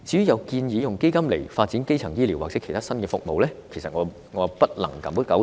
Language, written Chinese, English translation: Cantonese, 有人建議用基金來發展基層醫療或其他新服務，但我不敢苟同。, Some people have suggested using funds for the development of primary health care or other new services but I dare not agree